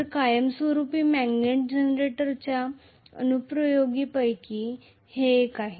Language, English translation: Marathi, So, this is one of the applications of permanent magnet generator